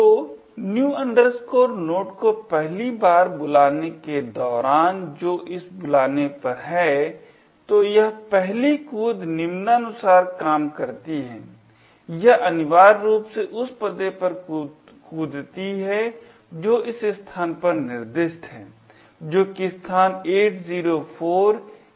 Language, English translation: Hindi, So, during the first call of new node which is at this call, so this first jump works as follows, it essentially jumps to the address which is specified in this location over here that is the location 804A024